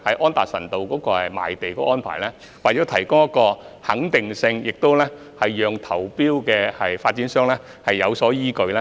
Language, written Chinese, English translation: Cantonese, 安達臣道的賣地安排必須提供確定性，讓參與投標的發展商有所依據。, The Anderson Road land sales arrangement must be certain for the developers participating in the tender to base upon